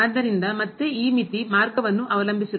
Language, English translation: Kannada, So, again this limit is depending on the path